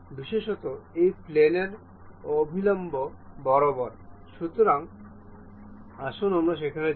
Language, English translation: Bengali, Especially normal to this plane, let us go there